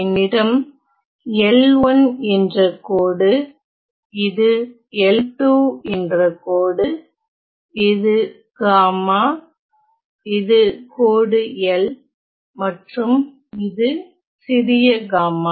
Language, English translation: Tamil, So, I have line L 1 this is line L 2 this is gamma this is line L and this is small gamma